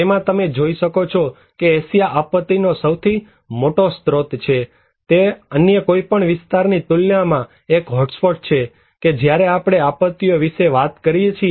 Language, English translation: Gujarati, You can see that Asia is one of the biggest source of disaster, it is one of the hotspot compared to any other region, when we are talking about disasters